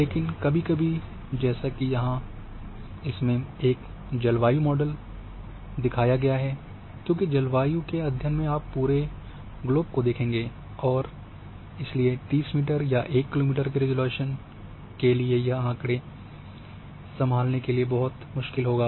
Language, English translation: Hindi, But sometimes like here the example is shown for climate models, because if for climate studies or climate changes studies that are you might be covering the entire globe and therefore going for say 30 meter or 1 kilometre resolution it would be too much data to handle